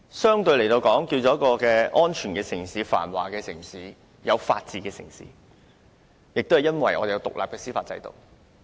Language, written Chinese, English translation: Cantonese, 香港能夠成為一個相對安全、繁華，有法治的城市，就是因為我們有獨立的司法制度。, It is attributive to our independent judicial system that Hong Kong can become a relatively safe and prosperous city with the rule of law